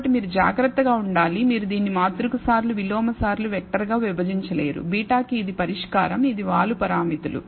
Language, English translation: Telugu, You cannot simply divide it as matrix times inverse times a vector that is a solution for beta which is slope parameters